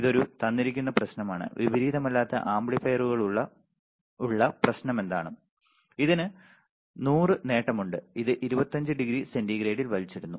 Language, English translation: Malayalam, This is a given problem right this is a given problem what is the problem that for non inverting amplifier is there and it has a gain of 100 and it is nulled at 25 degree centigrade